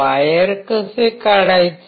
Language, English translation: Marathi, How to take out the wire